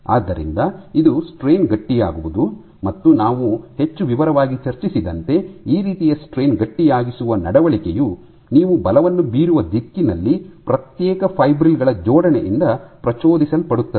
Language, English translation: Kannada, So, this is strain stiffening and as we discussed in great detail this kind of strain stiffening behaviour is induced by alignment of the individual fibrils in the direction in which you are exerting the force